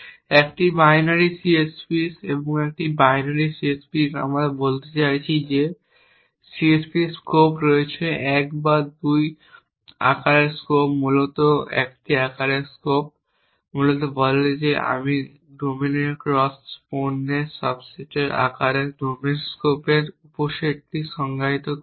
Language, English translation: Bengali, A binary C S P’s and a binary C S P’s we mean that C S P’s which have scopes of size either 1 or 2 essentially scope of size 1 basically says that I am defining subset of domain scope of size to subset of the cross product of 2 domains